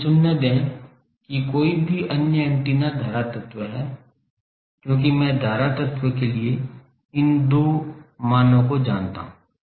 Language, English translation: Hindi, Let me choose that any other antenna to be current element, because I know these two value for the current element